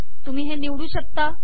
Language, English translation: Marathi, You can pick and choose